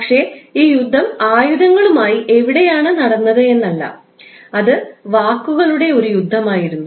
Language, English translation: Malayalam, So this war war is not a war we fought with the weapons, but it was eventually a war of words